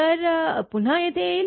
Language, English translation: Marathi, So, again it will come here